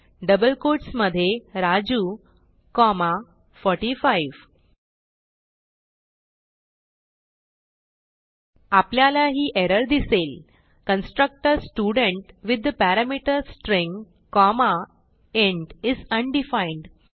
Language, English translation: Marathi, So in double quotes Raju comma 45 We see an error which states that the constructor student with the parameter String comma int is undefined